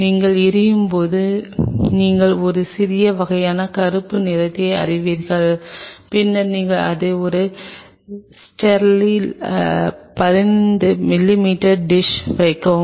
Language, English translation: Tamil, Once you do the flaming there will be a slight kind of you know blackening and then you can place it in a sterile 15 mm dish